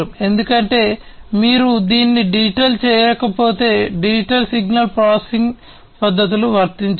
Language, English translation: Telugu, Because unless you make it digital, digital signal processing methods cannot be applied